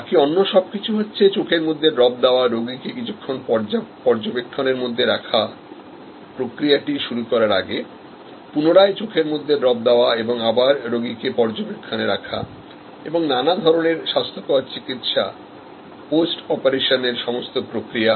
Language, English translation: Bengali, Everything, else giving eye drops, keeping the patient under observation for some time before the process starts, giving the eye drop, again observing the patient, all the other necessary hygienic treatments and post operation all the process